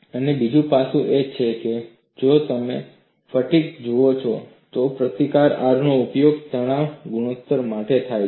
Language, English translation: Gujarati, And the other aspect is, if you look at fatigue, the symbol R is used for the stress ratio